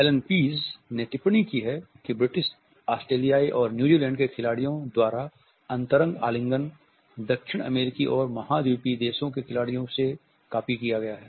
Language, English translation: Hindi, Allen Pease has commented that intimate embracing by British Australian and New Zealand sports person has been copied from the sports persons of South American and continental countries